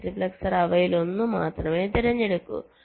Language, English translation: Malayalam, multiplexer will be selecting only one of them